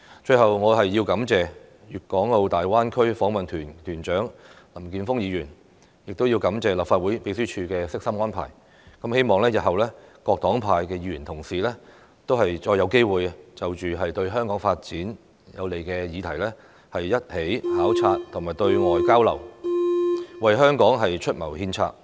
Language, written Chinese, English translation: Cantonese, 最後，我要感謝粵港澳大灣區訪問團團長林健鋒議員，亦要感謝立法會秘書處的悉心安排，希望日後各黨派的議員同事再有機會就着對香港發展有利的議題，一起考察和對外交流，為香港出謀獻策。, Finally I would like to thank Mr Jeffrey LAM leader of the delegation to the Guangdong - Hong Kong - Macao Greater Bay Area and I also wish to thank the Legislative Council Secretariat for the carefully planned programme . I hope that in the future Members from various parties and groupings will have another opportunity to go on a joint duty visit and undertake external exchange activities regarding issues conducive to Hong Kongs development thereby enabling us to offer advice and counsel for Hong Kong